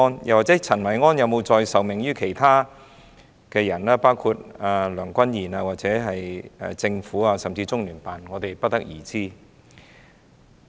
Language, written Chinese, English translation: Cantonese, 又或陳維安有否再受命於其他人，包括梁君彥或政府，甚至是中央人民政府駐香港特別行政區聯絡辦公室，我們不得而知。, Or was Kenneth CHEN being ordered by someone else including Andrew LEUNG or the Government or even the Liaison Office of the Central Peoples Government in the Hong Kong SAR LOCPG? . We do not know